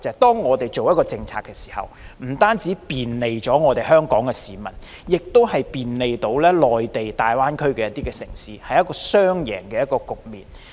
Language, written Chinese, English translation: Cantonese, 當我們所推行的一項政策不僅能便利香港市民，也能便利內地大灣區城市的話，那便是一個雙贏局面。, When a policy implemented by us can bring convenience not only to Hong Kong people but also to Mainland cities in the Greater Bay Area it is a win - win situation